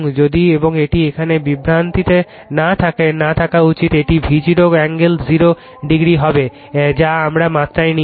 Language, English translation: Bengali, If you and it should not be in confusion in here right this will be V g angle 0 degree that we have take in the magnitude